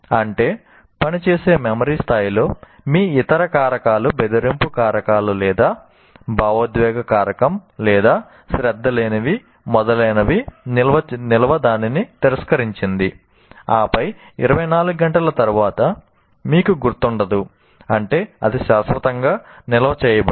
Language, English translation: Telugu, That means at the working memory level, all your other factors, either a threat factor or emotional factor or non attention, whatever it is that it has rejected that and then after 24 hours you will not, one doesn't remember